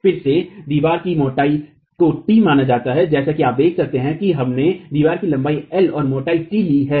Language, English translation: Hindi, Again, the thickness of the wall is considered as T and as you can see we have taken length L and thickness T in the wall